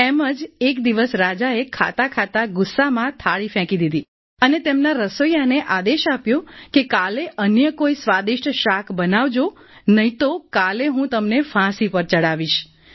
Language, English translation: Gujarati, One such day, the king while eating, threw away the plate in anger and ordered the cook to make some tasty vegetable the day after or else he would hang him